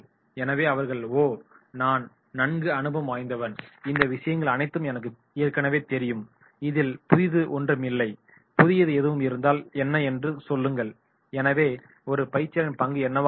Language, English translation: Tamil, So they say “Oh, I am experienced one, I know all these things, what is new in this tell me, nothing new” so what will be the role of a trainer